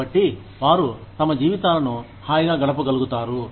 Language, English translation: Telugu, So, that they are able to live their lives, comfortably